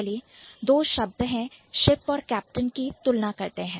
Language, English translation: Hindi, So, let's compare ship and captain